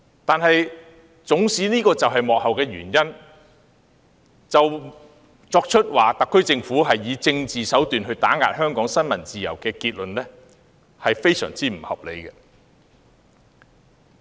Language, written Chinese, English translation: Cantonese, 但縱使這是幕後的原因，以此定論特區政府以政治手段打壓香港新聞自由，是非常不合理的。, Hence it is unfair to conclude that the Government has used political means to suppress freedom of the press in Hong Kong